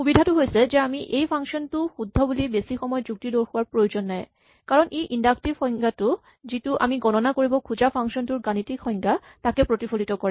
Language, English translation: Assamese, The advantage is that we do not have to spend much time arguing that this function is correct because it directly reflects the inductive definitions, the mathematical definitions of the function we are trying to compute